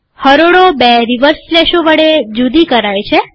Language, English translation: Gujarati, The rows are separated by two reverse slashes